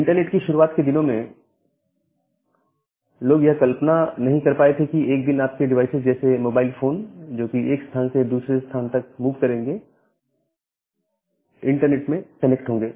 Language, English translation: Hindi, So, during the early days of internet people where was not able to imagine that one day your devices which will mobile like the mobile phones which will move from one place to another place and that will need to get connected over the internet